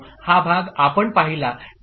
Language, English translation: Marathi, This part we have seen